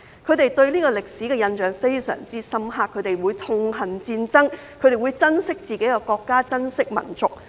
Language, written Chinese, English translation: Cantonese, 他們對這個歷史的印象非常深刻，他們會痛恨戰爭，亦會珍惜自己的國家，珍惜民族。, They were so deeply moved by the history of the camp that they would hate wars and cherish their country and their nation